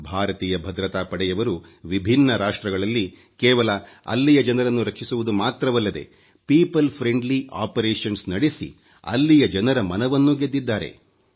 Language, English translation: Kannada, Indian security forces have not only saved people in various countries but also won their hearts with their people friendly operations